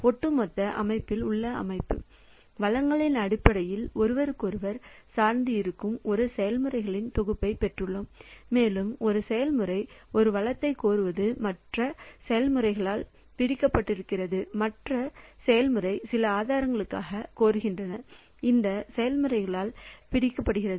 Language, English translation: Tamil, Overall the system in the system I have got a set of processes which are interdependent on each other in terms of resources such that one process is requesting for a resource which is grabbed by the other process and that other process is requesting for some resource which is grabbed by this process